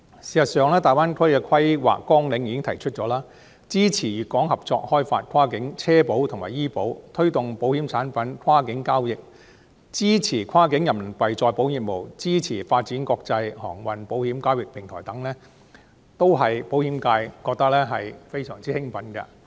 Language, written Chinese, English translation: Cantonese, 事實上，《粵港澳大灣區發展規劃綱要》已經提出要支持粵港合作開發跨境汽車保險和醫療保險、推動保險產品跨境交易、支持跨境人民幣再保險業務、支持發展國際航運保險交易平台等，都令保險界非常興奮。, In fact the Outline Development Plan for the Guangdong - Hong Kong - Macao Greater Bay Area has already proposed the following supporting joint development in Guangdong Hong Kong and Macao of cross - boundary motor vehicle insurance and medical insurance; promoting cross - boundary transactions of insurance products; supporting cross - boundary Renminbi reinsurance business; and supporting the development of a trading platform for international marine insurance . All these are exciting initiatives to the insurance sector